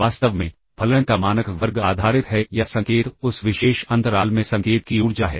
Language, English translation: Hindi, In fact, the norm square of the function is based or the signal is the energy of the signal in that particular interval